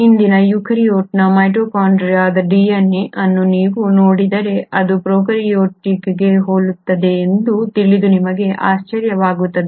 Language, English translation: Kannada, If you were to look at the mitochondrial DNA of today’s eukaryote you will be surprised to know that it is very similar to prokaryotic DNA